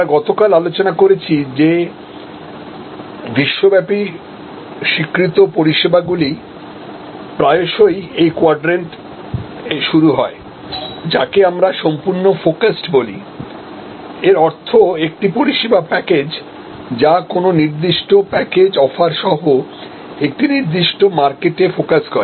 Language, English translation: Bengali, We discussed yesterday, that most excellent globally recognised services often start in this quadrant, which we call fully focused; that means a service package, which is focused on a particular market segment with a particular package of offering